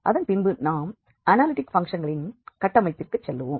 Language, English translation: Tamil, And then we will go for the construction of analytic functions